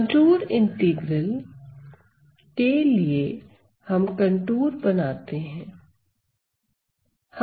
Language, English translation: Hindi, The contour integral is we have to draw a contour